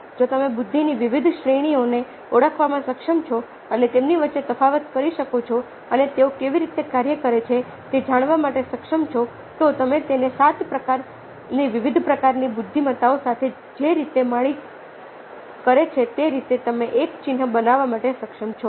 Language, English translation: Gujarati, if you are able to identify different categories of intelligences and differentiate between them and tell how they operate, then you are able to make a mark, the way gardener does with his dif seven kinds of different kinds of intelligences that he proposes